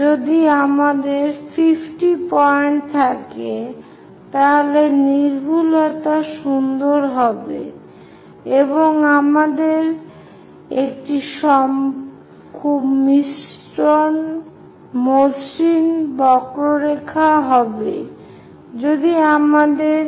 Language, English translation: Bengali, If we have 50 points, then accuracy will be nice, and we will have a very smooth curve